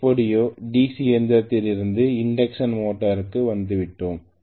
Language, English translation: Tamil, So anyway I migrated from the DC machine to the induction motor